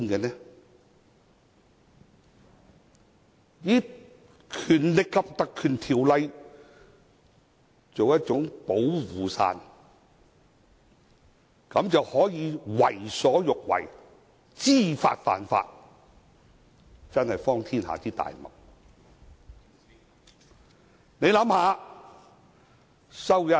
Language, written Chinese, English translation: Cantonese, 想以《立法會條例》作保護傘，為所欲為，知法犯法，真是荒天下之大謬。, Anyone who thinks that he can use the Ordinance as a protective shield to act wilfully and break the law deliberately is really absurd